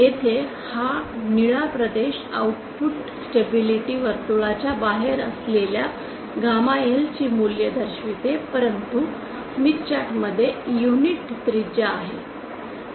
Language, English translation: Marathi, Here the blue region shows those values of gamma L outside the output stability circle but inside the smith chart having unit radius